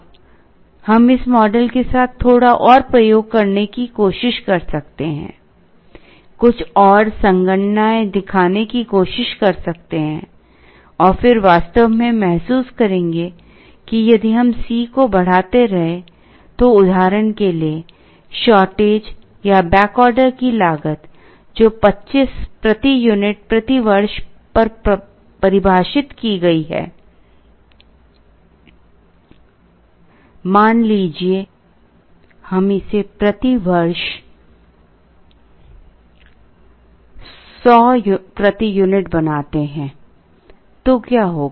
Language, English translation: Hindi, Now, we can try and do a little more experiment with this model, try and show some more computations and then we would actually realize that if we keep increasing the C s for example, the shortage or back order cost was defined at 25 per unit per year